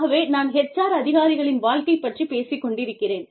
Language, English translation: Tamil, So, I am talking about, the life of HR professionals